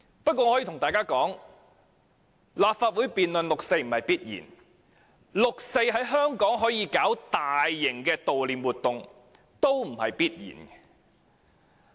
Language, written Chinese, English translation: Cantonese, 我告訴大家，立法會能夠辯論六四不是必然的，香港可以舉行大型的悼念六四活動也不是必然的。, I have to tell Members that the conduct of a debate on the 4 June incident cannot be taken for granted . Holding major events in Hong Kong to commemorate 4 June cannot be taken for granted either